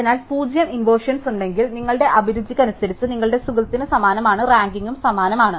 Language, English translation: Malayalam, So, if there are zero inversions, then you have exactly similar in your taste to your friend and the rankings are identical